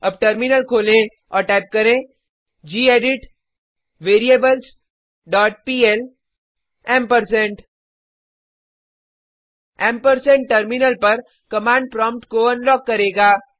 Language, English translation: Hindi, Now open the Terminal and type gedit variables dot pl ampersand The ampersand will unlock the command prompt on the terminal